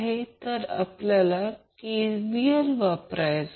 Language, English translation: Marathi, Now what we have to do, we have to apply the KVL